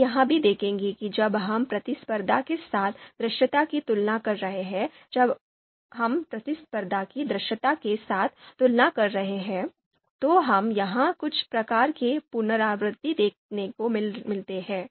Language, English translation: Hindi, You would also see that if you are you know compare comparing visibility with competition, so this value and when we are you know and when we are comparing competition with visibility, so this value, so you would see that this is kind of repetition here